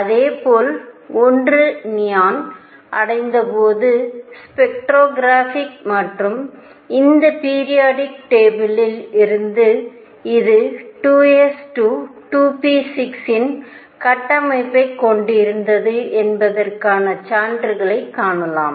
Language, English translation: Tamil, Similarly when one reached neon one could see from the spectroscopic and these periodic table evidences that this was had a structure of 2 s 2, 2 p 6